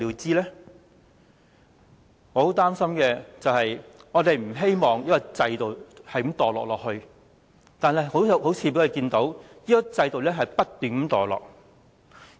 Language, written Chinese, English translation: Cantonese, 我十分擔憂的是，雖然我們不希望這制度繼續墮落下去，但我們彷彿看到這制度不斷墮落。, I feel gravely concerned that although we do not wish to see this system to continue to degenerate we appear to see this happening